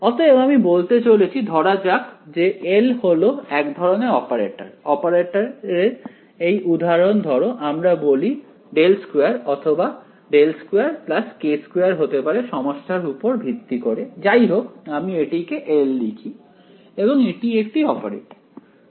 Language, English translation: Bengali, So, I am going to say that let us say that this L is some kind of an operator, this example of an operator can be let us say del squared or it can be del squared plus k squared depends on the problem whatever it is let me call it L and its an operator